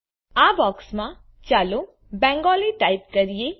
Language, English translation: Gujarati, Inside this box lets type Bengali